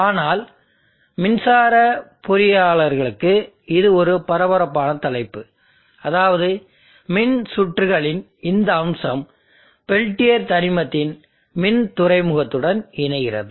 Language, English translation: Tamil, But it is a hard topic especially for electrical engineers in the sense that there is this aspect of electrical circuits interfacing to the electrical port of the peltier element